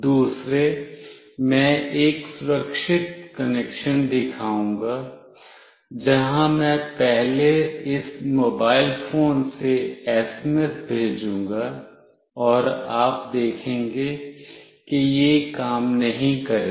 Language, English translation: Hindi, Secondly, I will show a secure connection where I will first send SMS from this mobile phone, and you will see that it will not work